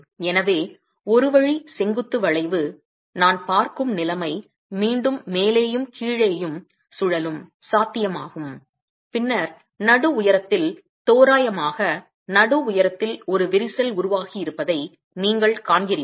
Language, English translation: Tamil, So, one way vertical bending, you have again the situation that I'm looking at is with rotations at the top and the bottom being possible and then you see that there is a crack that is formed at the mid height, roughly at the mid height